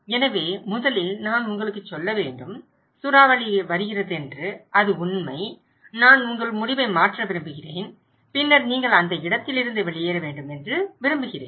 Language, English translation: Tamil, So, first I need to tell you that cyclone is coming and that is true and I want to change your decision and then I want you to evacuate from that place okay